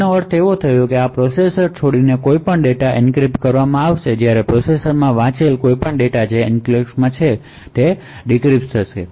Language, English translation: Gujarati, So what this means is that any data leaving the processor would be encrypted while any data read into the processor which is present in the enclave would be decrypted